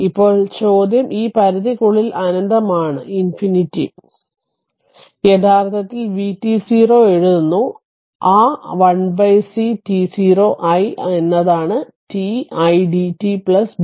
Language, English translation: Malayalam, Now, question is that this limit we have put minus infinity and we are writing actually v t 0 as that 1 upon c t 0 t i dt plus b t 0